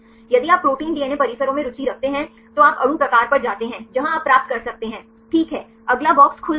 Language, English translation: Hindi, If you are interested in protein DNA complexes right you go to the molecule type there you can get the, ok next box will open